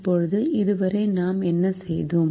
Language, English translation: Tamil, now, so far, what have we done